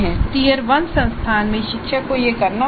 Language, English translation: Hindi, In the term institution teacher has to do this